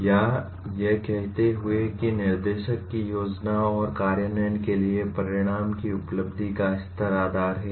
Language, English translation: Hindi, Or saying that the level of achievement of outcome is the basis for planning and implementing instructs